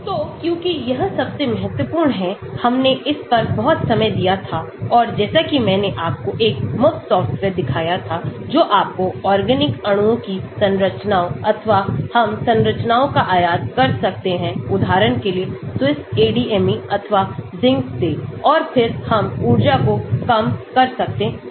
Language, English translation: Hindi, So, because this is the most important, we had spent lot of time on this and as I showed you a free software, which can get you to draw structures of organic molecules or we can import structures from, for example from SWISSADME or even from ZINC and then we can minimize energy